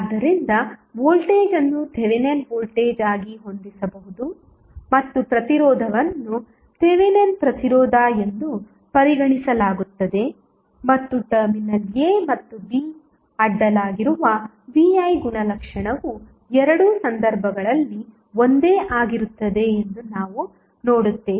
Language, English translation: Kannada, So, voltage would be can set as a Thevenin voltage and resistance would be consider as Thevenin resistance and we will see that the V I characteristic across terminal a and b will be same in both of the cases